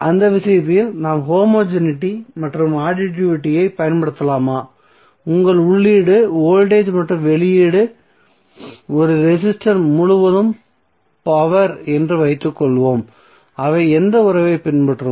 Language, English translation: Tamil, So can we apply the homogeneity and additivity in that case, so if suppose your input is voltage and output is power across a resistor, so what relationship they will follow